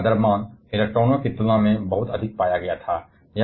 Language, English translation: Hindi, And the mass of the nucleus was found to be much, much larger compared to the electrons